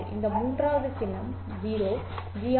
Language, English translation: Tamil, Let's say the last symbol is 0